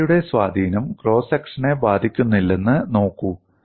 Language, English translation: Malayalam, See, whatever the effect of shear is not affecting the cross section